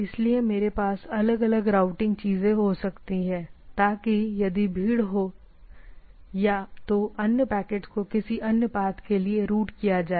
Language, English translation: Hindi, So, I can we can have different routing things, so that if there is a congestion then the other packets are routed to some other part of things etcetera